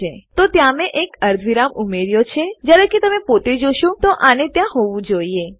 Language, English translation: Gujarati, So I have added a semicolon there, although to the human eye visually it should be there